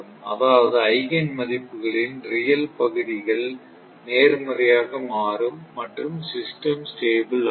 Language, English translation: Tamil, Means, the real part of Eigen values becoming positive and system will become unstable